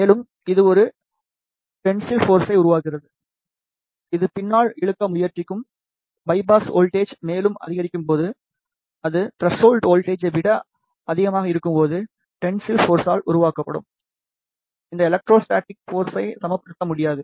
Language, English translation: Tamil, And, it creates a tensile force which will try to pull it back, when the bias voltage is increased further, when it is greater than the threshold voltage then the tensile force will not be able to balance this electrostatic force which is created due to the bias voltage